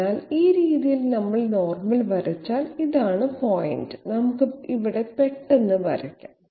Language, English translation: Malayalam, So this way if we if we draw the normal, this will be the point, let s have a quick drawing here